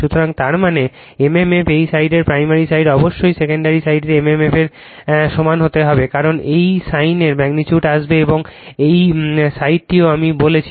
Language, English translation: Bengali, So, that means, mmf this side primary side must be equal to mmf of the secondary side as the magnitude on this sign come, right and this sign also I also I told you